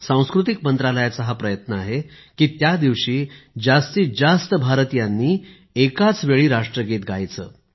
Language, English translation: Marathi, It's an effort on part of the Ministry of Culture to have maximum number of Indians sing the National Anthem together